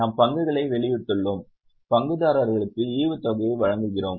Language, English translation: Tamil, We have issued shares and we are giving dividend to the shareholders